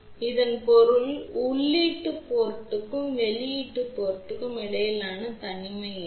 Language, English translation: Tamil, So, that means, what is the isolation between input port and the output port